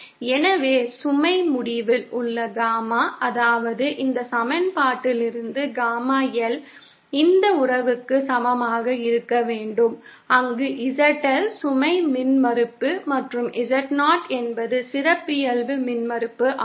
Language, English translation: Tamil, So, the Gamma at the load end, that is Gamma L from this equation should be equal to this relationship, where ZL the load impedance and Z0 is the characteristic impedance